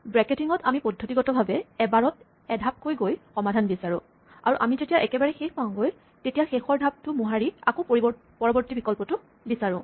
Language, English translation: Assamese, In backtracking we systematically search for a solution one step at a time and when we hit a dead end we undo the last step and try the next option